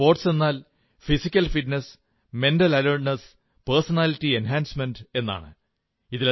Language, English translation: Malayalam, Sports means, physical fitness, mental alertness and personality enhancement